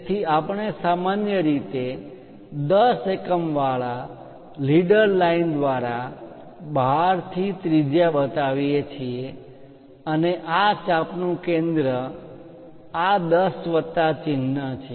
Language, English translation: Gujarati, So, we usually show that radius from outside through leader line with 10 units and center of that arc is this 10 plus sign